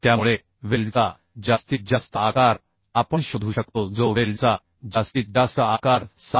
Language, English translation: Marathi, 8 mm so maximum size of weld we can find out maximum size which is allowed Maximum size of weld will be 7